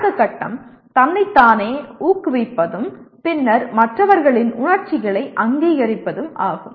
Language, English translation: Tamil, Next stage is motivating oneself and subsequently recognizing emotions in others